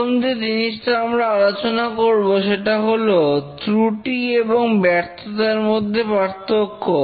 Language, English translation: Bengali, The first thing we will discuss is the difference between a fault and a failure